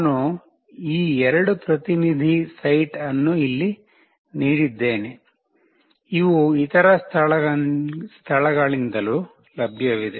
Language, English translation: Kannada, I have given these 2 representative site here, these are available from other places also